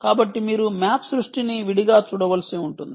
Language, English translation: Telugu, so you may have to look at map creation separately here